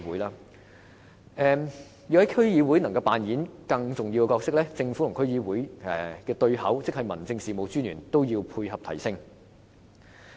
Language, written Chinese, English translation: Cantonese, 要讓區議會擔當更重要的角色，政府及區議會的對口即民政事務專員也要同時配合提升。, In order to enable DCs to play a more important role the role of District Officers who act as a link between DCs and the Government should also be strengthened